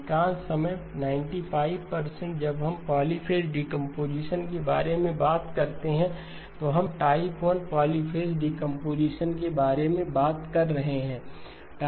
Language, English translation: Hindi, Most of the time, 95% of the time when we talk about polyphase decomposition, we are talking about type 1 polyphase decomposition